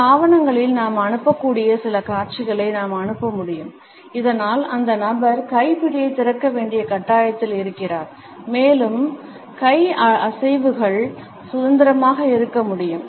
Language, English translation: Tamil, We can pass on certain visuals we can pass on certain papers so, that the person is forced to open the hand grip and the hand movements can be freer